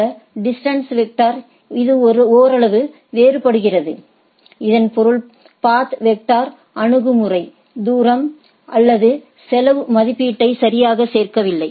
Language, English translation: Tamil, And it is somewhat differ from this distant vector algo by in the sense the path vector approach does not include distance or cost estimation right